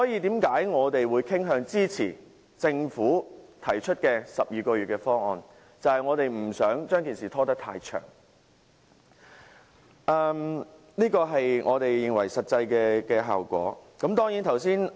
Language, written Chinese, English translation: Cantonese, 因此，我們傾向支持政府提出的12個月的方案，就是不想把事情拖延太久，以求達至我們想得到的實際效果。, In order to achieve the anticipated result we tend to support the 12 - month proposal put forth by the Government as we do not want cases to be dragged on for too long